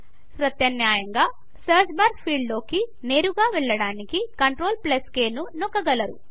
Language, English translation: Telugu, Alternately, you can press CTRL+K to directly go to the Search bar field